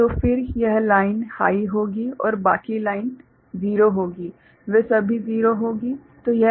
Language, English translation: Hindi, So, then this line will be high and rest of the lines will be 0, all of them will be 0 right